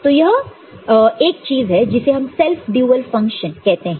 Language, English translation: Hindi, So, there is something called self dual function